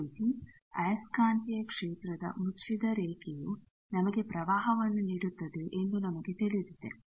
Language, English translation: Kannada, Similarly, we know that the closed line integral of magnetic field gives us current